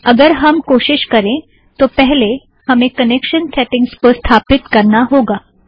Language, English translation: Hindi, Supposing we try this, before that we also need to set up connection settings